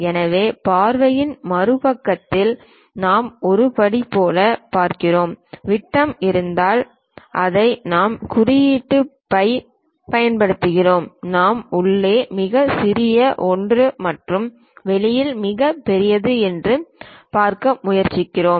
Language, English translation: Tamil, So, that on the other side of the view we look at like a step one, try to look at diameters if it is diameter we use symbol phi, and smallest one inside and the largest one outside that is the way we try to look at